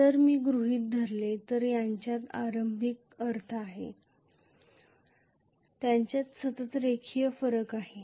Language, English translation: Marathi, If I assume they are having an initial I mean they are having continuously linear variation